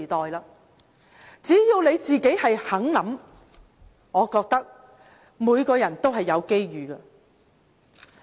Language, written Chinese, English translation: Cantonese, 我覺得只要大家願意想一想，每個人都會有機遇。, I believe everyone will get their chances as long as one is willing to do some thinking